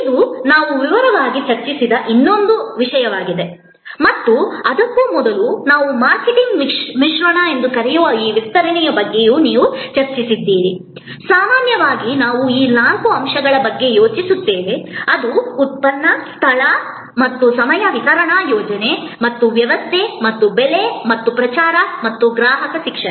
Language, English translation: Kannada, This is the other point that we discussed in detail and before that, you also discussed about this extension of what we call the marketing mix, that in normally we think of this four elements, which is the product, the place and time which is the distributions scheme and system and the price and the promotion and customer education